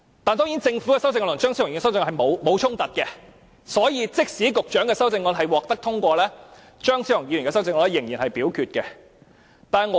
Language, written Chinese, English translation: Cantonese, 當然，政府的修正案和張超雄議員的修正案並無衝突，所以即使局長的修正案獲得通過，張超雄議員的修正案仍然會付諸表決。, Of course the Governments amendment and that of Dr Fernando CHEUNG are not in conflict with each other . Therefore even if the Secretarys amendment is passed Dr Fernando CHEUNGs amendment will still be put to the vote